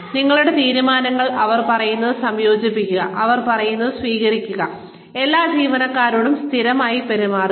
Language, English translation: Malayalam, Accept, what they say, incorporate, what they say, in your decisions, treat all employees consistently